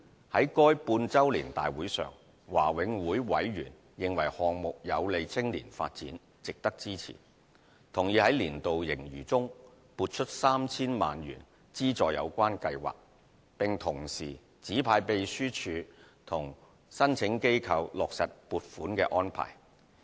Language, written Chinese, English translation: Cantonese, 在該半周年大會上，華永會委員認為項目有利青年發展，值得支持，同意在年度盈餘中撥出 3,000 萬元資助有關計劃，並同時指派秘書處與申請機構落實撥款安排。, At the meeting members considered the proposal beneficial to local youth development and worth supporting . They agreed to allocate 30 million from the annual surplus to support the project and asked the secretariat to finalize funding arrangements with the applicant